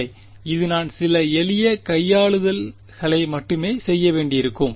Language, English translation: Tamil, No right it is just some simple manipulation that I have to do